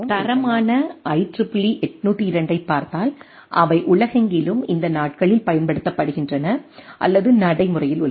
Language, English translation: Tamil, And if we look at the standard IEEE 802 is the predominant standard which are which are used or which are practised these days over across the world